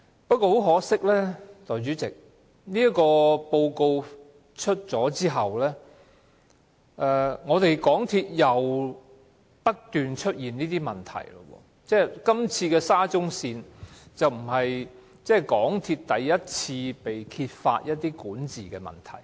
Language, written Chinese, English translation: Cantonese, 不過，代理主席，很可惜，在調查報告公布後，香港鐵路有限公司又不斷出現問題，而今次的沙中線工程已不是港鐵公司第一次被揭發出現管治問題。, To our great regret Deputy President after the publication of the report the MTR Corporation Limited MTRCL continued to be plagued with problems . The present incident involving the SCL project is not the first time that MTRCL was found to have governance problem